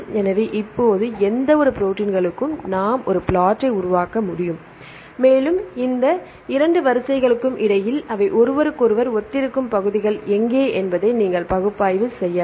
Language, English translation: Tamil, So, now, we can for any proteins we can make a plot, and you can analyze where are the regions where they are similar to each other between any two sequences